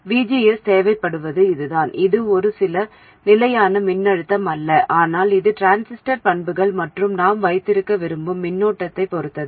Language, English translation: Tamil, It is not this, some fixed voltage, but it is dependent on the transistor characteristics and the current that we want to have